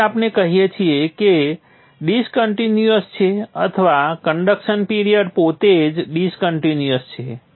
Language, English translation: Gujarati, So that is why we say it is discontinuous or the conduction period itself is discontinuous